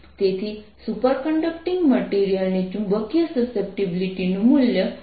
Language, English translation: Gujarati, so the value of magnetic susceptibility of a superconducting material is minus one